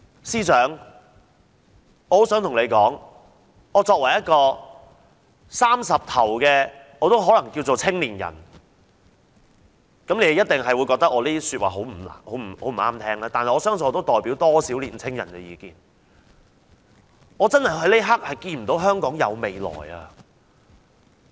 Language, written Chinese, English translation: Cantonese, 司長，作為一位30歲出頭的青年人，你一定會覺得我的話不中聽，但我相信我的意見也可代表不少年青人，我想告訴你：我這一刻真的看不見香港的未來。, Chief Secretary as I am a young man in my early thirties you will surely consider my remarks disagreeable yet I think my opinions may somehow represent quite a number of youth . I wish to tell you that At this very moment I do not see a future for Hong Kong